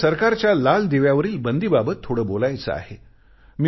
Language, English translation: Marathi, I wish to say something on the government's ban on red beacons